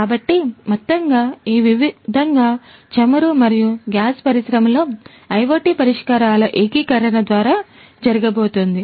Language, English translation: Telugu, So, overall this is what is going to happen in the oil and gas industry through the integration of IoT solutions